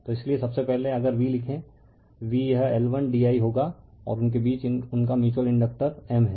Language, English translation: Hindi, So, that is why first if you write the V V is equal to it will be L 1 d I and their mutual inductor between them is M right